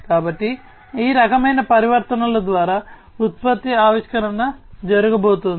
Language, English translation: Telugu, So, product innovation is going to happened through this kind of transformations